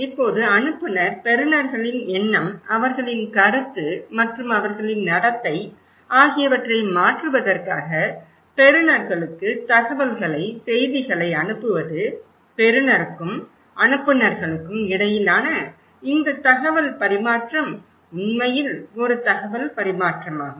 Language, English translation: Tamil, Now sender send us their, send informations, message to the receivers in order to change their mind, their perception and their behaviour and this exchange of informations between receiver and senders is actually a purposeful exchange of information